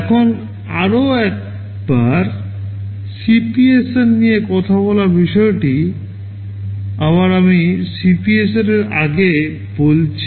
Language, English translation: Bengali, Now, talking about the CPSR once more this is again the picture of the CPSR I told earlier